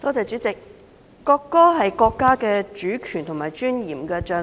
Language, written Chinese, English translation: Cantonese, 主席，國歌是國家主權和尊嚴的象徵。, Chairman a national anthem is the symbol of national sovereignty and dignity